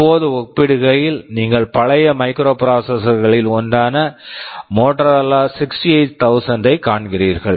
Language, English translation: Tamil, Now, in comparison you see one of the older microprocessors Motorola 68000